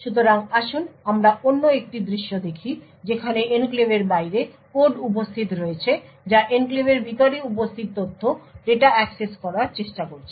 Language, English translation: Bengali, So, let us see another scenario where you have code present outside the enclave trying to access data which is present inside the enclave